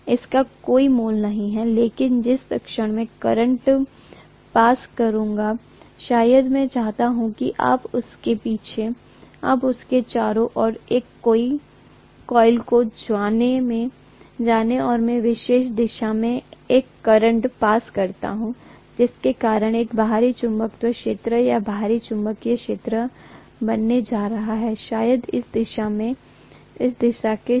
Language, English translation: Hindi, It is not going to have any value at all but the moment I pass a current, maybe I just wind you know a coil around this and I pass a current in a particular direction, because of which an extrinsic magnetic field or external magnetic field is going to be created, maybe along this direction